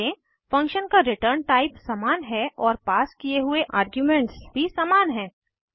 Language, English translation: Hindi, Note that the return type of the function is same and the arguments passed are also same